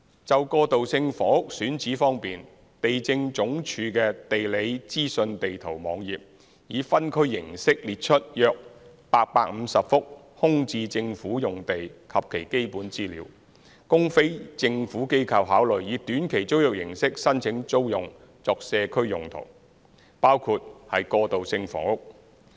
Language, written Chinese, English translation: Cantonese, 就過渡性房屋選址方面，地政總署的"地理資訊地圖"網頁以分區形式列出約850幅空置政府用地及其基本資料，供非政府機構考慮以短期租約形式申請租用作社區用途，包括過渡性房屋。, As regards site selection for transitional housing the GeoInfo Map web of the Lands Department LandsD publishes on a district basis a list of about 850 vacant government sites and their basic information for consideration of NGOs to apply for community purposes including transitional housing on a short - term basis